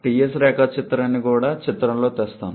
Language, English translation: Telugu, Let me get the Ts diagram into picture also